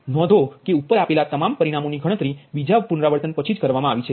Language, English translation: Gujarati, note that all the, all the results given above are computed after second iteration only